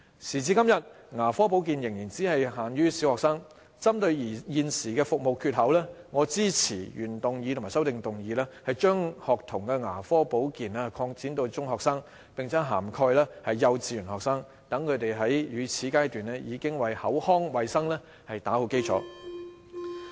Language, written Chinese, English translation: Cantonese, 時至今日，牙科保健仍只限於小學生，針對現時的服務缺口，我支持原議案及修正案，將學童牙科保健擴展至中學生，並且涵蓋幼稚園學生，讓他們在乳齒階段，已為口腔衞生打好基礎。, The document suggested the Department of Health to promote oral care among secondary students as a continuation of the School Dental Care Service . To date dental care services are only provided for primary school students . In order to fill this service gap I support the original motion and the amendments to extend the School Dental Care Service to kindergarten students and secondary students so that students can lay down a good foundation for oral hygiene since their milk tooth stage